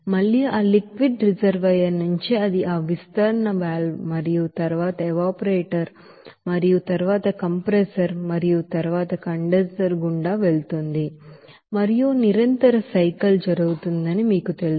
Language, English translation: Telugu, Again from that liquid reservoir it will go through that expansion valve and then evaporator and then compressor and then condenser and it will be you know that continuously cycle will be going on